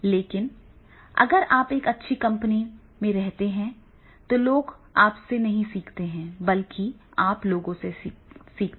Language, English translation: Hindi, But if you are not having a good company then there are the chances that is the people may not learn from you rather you will learn from the other people